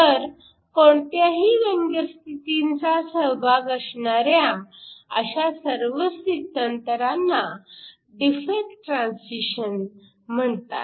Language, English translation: Marathi, So, all of these transitions which involves some sort of defect states are called your defect transitions